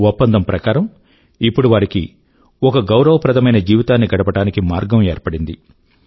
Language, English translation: Telugu, As per the agreement, the path to a dignified life has been opened for them